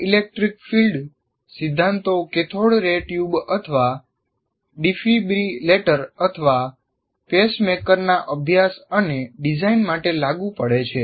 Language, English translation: Gujarati, And these principle, electric field principles are applied to study and design cathodeary tube, heart, defibrillator, or pacemaker